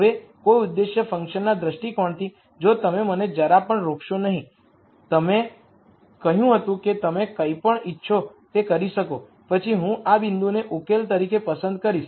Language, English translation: Gujarati, Now from an objective function viewpoint if you did not constrain me at all and you said you could do anything you want, then I would pick this point as a solution